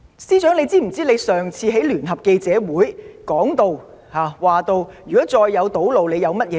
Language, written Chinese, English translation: Cantonese, 司長，你可曾記得在上次聯合記者會上，你被問及如再有堵路將有甚麼對策？, Chief Secretary do you remember being asked what you would do if roads were again blocked?